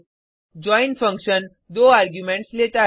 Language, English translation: Hindi, join function takes 2 arguments